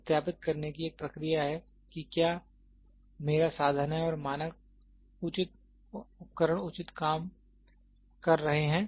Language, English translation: Hindi, A process of verifying whether is my instrument and the standard instruments they are working proper